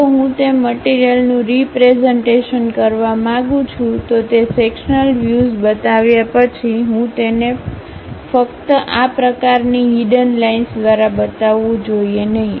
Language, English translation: Gujarati, If I want to represent that material, after showing that sectional view I should not just show it by this kind of hidden lines